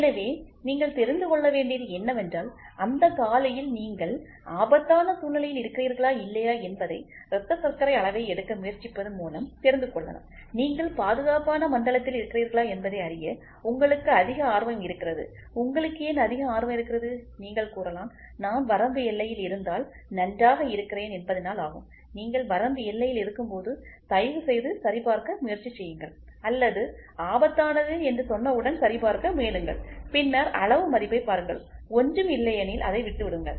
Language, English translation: Tamil, So, all you have to know is whether that morning when you try to take blood sugar level whether you are in an alarming situation or not, why at all you have more interested to know if you are in the safe zone, yes you might argue if I am in the border fine, when you are in the border please try to check or I would put this way you try to check once it says alarming then look for the magnitude value otherwise just forget it, ok